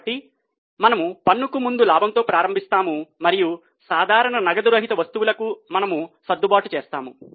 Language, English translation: Telugu, So, we start with profit before tax and we make adjustments for those items which are non cash in nature